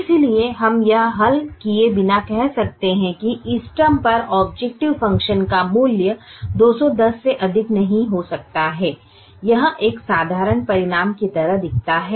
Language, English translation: Hindi, therefore we can say, without solving, that the value of objective function at the optimum cannot exceed two hundred and ten